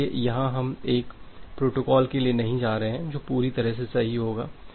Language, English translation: Hindi, So, here we are not going for a protocol which will be completely correct